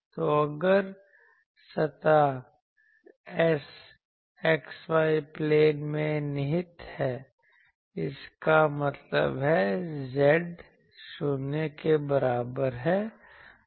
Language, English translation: Hindi, So, if the surface S lies in x y plane; that means, z is equal to 0